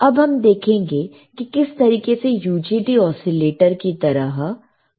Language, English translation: Hindi, So, this is how the UJT oscillator will work